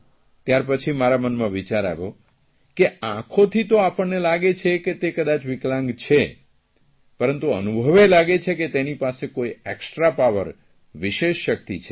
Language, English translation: Gujarati, So I thought that upon looking at them with our eyes we feel that they are handicapped, but experiences tell us that they have some extra power